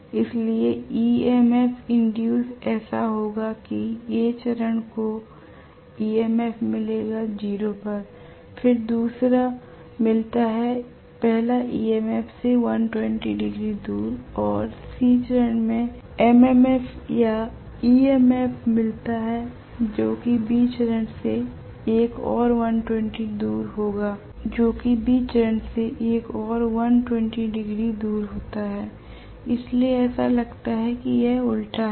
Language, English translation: Hindi, So the EMF induced will be such that A phase gets the theta equal to 0 corresponding EMF, the second one gets then after 120 degrees away from the first EMF that is induced in A phase and C phase gets another MMF or EMF which is corresponding to another 120 degrees away from the B phase, that is why it looks as though this is inverted